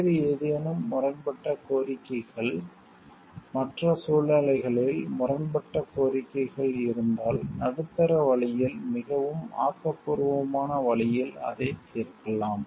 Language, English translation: Tamil, If in other situations there are conflicting demands, we can solve it by taking a middle way in a very creative way